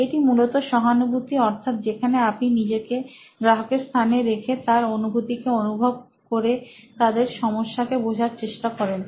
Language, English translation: Bengali, It is basically that you have empathised, where you put yourself into the shoes of your customer and know their suffering to what is it that they are going through, really find out